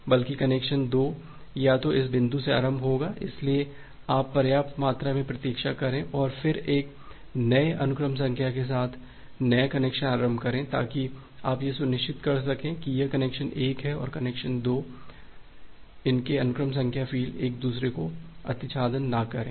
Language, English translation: Hindi, Rather a connection 2 will either initiate from this point, so you wait for sufficient amount of duration, and then initiate the new connection with a new sequence number so that you can become sure that this connection 1 and connection 2 there sequence number field doesn’t get overlap, doesn’t get overlap